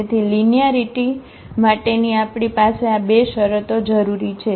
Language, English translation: Gujarati, So, we have these 2 conditions required for the linearity